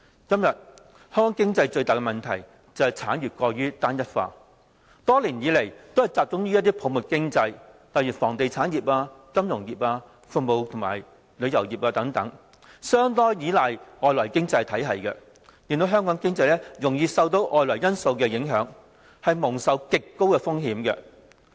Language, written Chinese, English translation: Cantonese, 今天香港經濟最大的問題就是，產業過於單一化，多年來都是集中於泡沫經濟，例如房地產業、金融業、服務及旅遊業等，又相當依賴外來經濟體系，令香港經濟容易受到外圍因素影響，蒙受極高風險。, The biggest problem with Hong Kongs economy today is that industrial development is far too homogenous . Over the years it has been focusing on bubble economies such as real estate and realty finance service industries tourism and so on . Leaning considerably on external economies Hong Kongs economy is vulnerable to external factors and susceptible to extreme risk